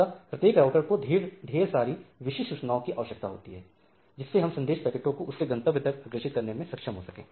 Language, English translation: Hindi, So, every router needs to needs lot of information and to know how to direct packets towards the host